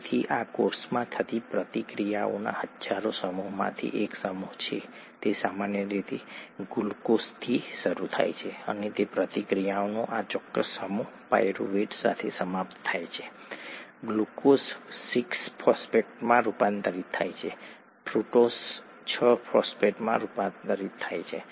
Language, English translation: Gujarati, So this is one set of one of the thousands of sets of reactions that occur in the cell, its typically starts with glucose, and this particular set of reaction ends with pyruvate, glucose gets converted to glucose six phosphate, gets converted to fructose six phosphate and so on and so forth until it gets with pyruvate